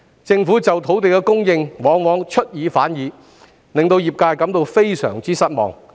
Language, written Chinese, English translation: Cantonese, 政府在土地供應方面往往出爾反爾，令業界感到非常失望。, As the Government has often failed to provide land as promised the trade is greatly disappointed